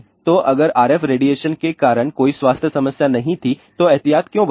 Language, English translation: Hindi, So, if there was a no health problem because of the RF radiation then why take precaution